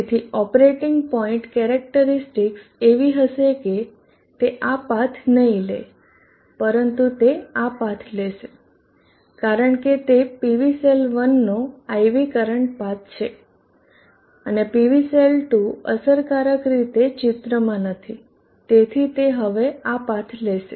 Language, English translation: Gujarati, So the characteristics the operating point characteristic will be such that it will not take this path but it will take this path, because that is the path IV current path of the PV cell 1 and as PV cell 2 is effectively out of picture this is the path now it will take